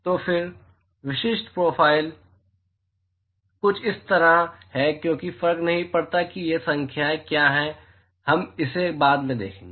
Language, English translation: Hindi, So, then the typical profile is something like this does not matter what these numbers are we will see that later